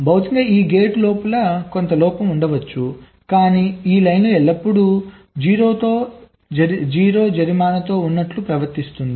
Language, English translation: Telugu, physically it might happen that that there is some fault inside this gate, but it is behaving as if this line is always at zero